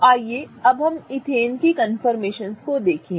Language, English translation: Hindi, So, let us look at the confirmations of ethane now